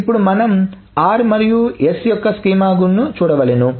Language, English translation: Telugu, This is the schema of r and the schema of s